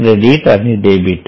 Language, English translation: Marathi, Credit and debit